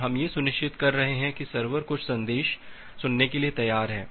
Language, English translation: Hindi, We are ensuring that the server is ready to listen some message